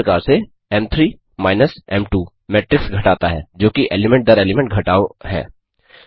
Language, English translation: Hindi, Similarly,m3 minus m2 does matrix subtraction, that is element by element subtraction